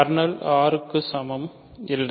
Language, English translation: Tamil, So, kernel is not equal to R